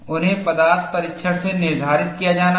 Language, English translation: Hindi, They have to be determined from material testing